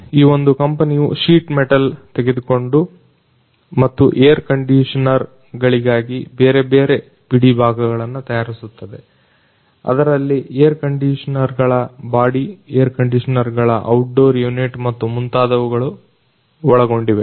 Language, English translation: Kannada, So, this particular company is into the business of taking sheet metals and making different spare parts for air conditioners including the body of the air conditioners, the outdoor unit of the air conditioners and so on